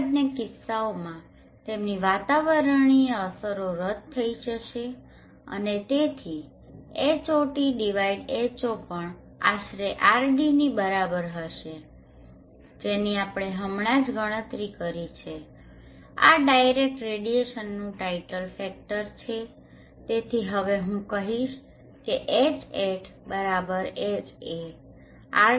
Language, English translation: Gujarati, There are atmospheric effects in both these cases will cancel out and therefore at 4th not would also approximately will actually be equal to the RD which we just now calculated this is the title factor of the direct radiation therefore, I will now say Hat = Ha into RD this is an important relationship